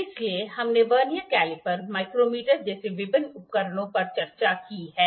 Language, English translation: Hindi, So, we have discussed various instruments before like Vernier caliper, micrometer